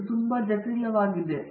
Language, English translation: Kannada, It is not very complicated